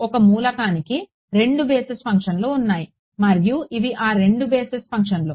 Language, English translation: Telugu, There are two basis functions for an element and these are those two basis functions